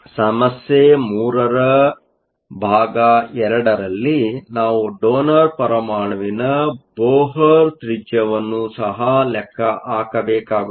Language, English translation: Kannada, In part 2 of problem 3, we also need to calculate the Bohr radius of the donor atom